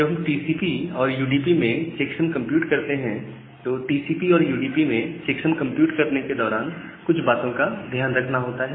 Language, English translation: Hindi, Now, while compute the checksum in TCP and UDP; TCP and UDP takes certain things into consideration during checksum computation